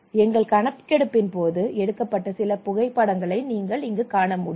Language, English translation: Tamil, So this is some of the photographs during the survey